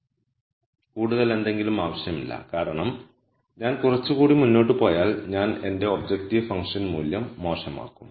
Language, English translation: Malayalam, Anything more would be unnecessary because if I move little further I am going to make my objective function value worse